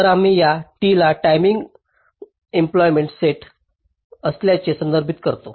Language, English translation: Marathi, so we refer this t to be the set of timing endpoints